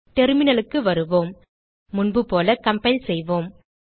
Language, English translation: Tamil, Come back to the terminal Let us compile as before